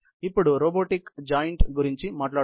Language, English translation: Telugu, Let us talk about robotic joints now